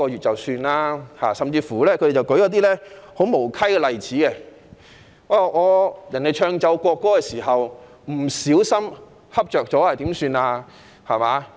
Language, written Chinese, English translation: Cantonese, 他們甚至舉出一些很無稽的例子，即奏唱國歌時，有人不小心睡着了應該怎辦。, They have even raised a very absurd query as to what will happen to someone who accidentally falls asleep when the national anthem is being played and sung